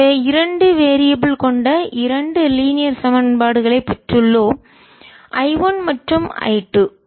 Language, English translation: Tamil, so we have got to linear equations in two variables, i one and i two, so we can solve this equations